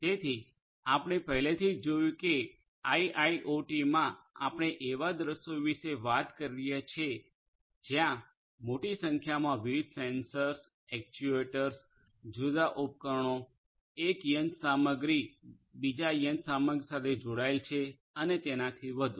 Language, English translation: Gujarati, So, we already saw that in IIoT we are talking about scenarios where there are large numbers of different sensors, actuators, different devices, other machinery attached to these different other machinery and so on